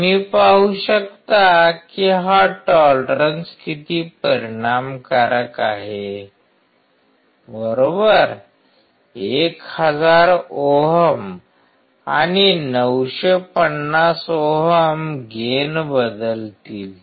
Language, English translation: Marathi, See this tolerance is making so much of effect right; 1 thousand ohms and 950 ohms will change the gain